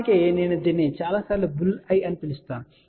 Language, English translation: Telugu, In fact, many a times I call this as Bull's eye also